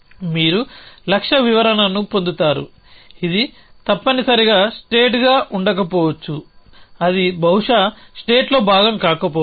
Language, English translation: Telugu, You get a goal description which may not necessarily be state essentially which may not be possibly part of a state